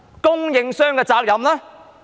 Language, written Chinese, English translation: Cantonese, 供應商的責任呢？, What about the responsibility of suppliers?